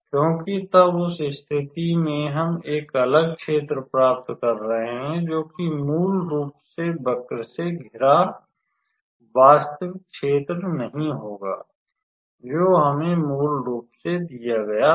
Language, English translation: Hindi, Because then in that case we are getting a different area, which will not be the the actual area bounded by the curve that was given to us originally